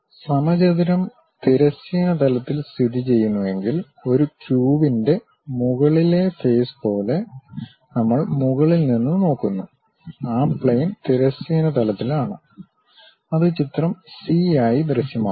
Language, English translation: Malayalam, If the square lies in the horizontal plane, like the top face of a cube; we are looking from the top and that plane is on the horizontal plane, it will appear as figure c